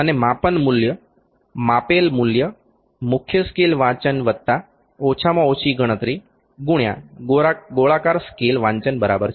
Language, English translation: Gujarati, And the measurement value the measured value, the measured value is equal to main scale reading plus least count into circular scale reading